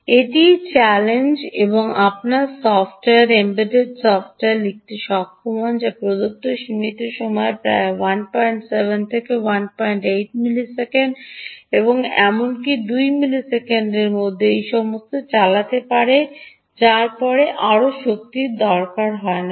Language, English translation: Bengali, this is the challenge, and you should be able to write software, embedded software, which can essentially run all this in the given limited time of about one point seven to one point eight milliseconds, or even two milliseconds, ah, after which there is no more energy, right